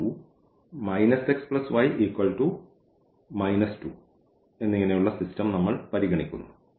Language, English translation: Malayalam, So, the solution is x is equal to 2 and y is equal to 1 of this system